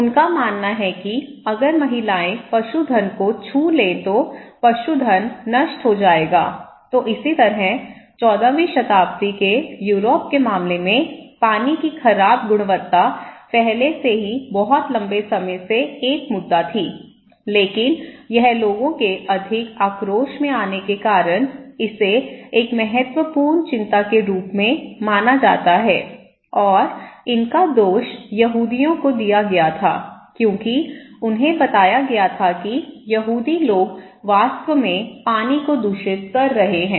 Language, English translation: Hindi, They believe that if the woman they touch livestock, the livestock will die, so similarly in case of the 14th century Europe, there was poor water quality was already an issue for a very long time but it came into kind of more outcry of the people, it is considered to be as one of the critical concern and the blame of these was given to the Jews people because they were told that Jews people are actually contaminating the water